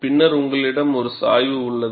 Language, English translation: Tamil, Then, you have a slope which is different